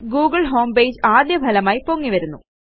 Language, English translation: Malayalam, The google homepage comes up as the first result